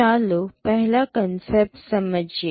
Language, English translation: Gujarati, Let us understand first the concept